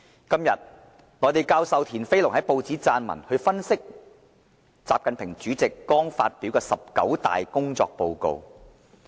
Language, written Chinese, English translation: Cantonese, 今天，內地教授田飛龍在報章撰文，分析習近平主席剛發表的"十九大"工作報告。, Mainland Prof TIAN Feilong wrote in the press today an article which analyses the recently - delivered work report of President XI Jinping